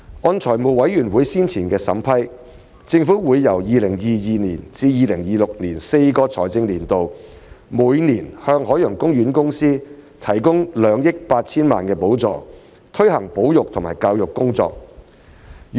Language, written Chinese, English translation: Cantonese, 按財務委員會先前的審批，政府會由 2022-2023 至 2025-2026 的4個財政年度每年向海洋公園公司提供2億 8,000 萬元的補助，以推行保育和教育工作。, As previously approved by the Finance Committee the Government will provide OPC with a subvention of 280 million per year for its conservation and education initiatives for four financial years between 2022 - 2023 and 2025 - 2026